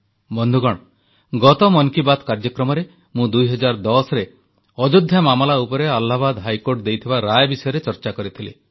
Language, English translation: Odia, Friends, in the last edition of Man Ki Baat, we had discussed the 2010 Allahabad High Court Judgment on the Ayodhya issue